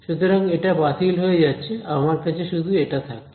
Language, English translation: Bengali, So, this is canceled, so, I am just left with this all right